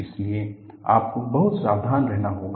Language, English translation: Hindi, So, you have to be very careful